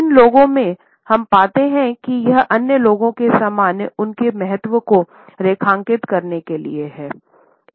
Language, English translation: Hindi, In these people, we find that it is a deliberate statement to underscore their significance in front of other people